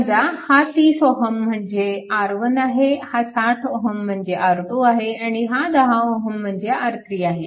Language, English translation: Marathi, Suppose this is your R 1, this is your R 2 and this 10 ohm is equal to R 3